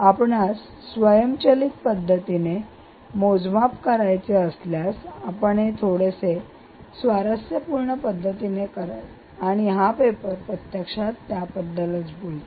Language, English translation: Marathi, if you want to do an automatic measurement way, you would do it, ah, in a slightly interesting manner, and this paper actually talks about that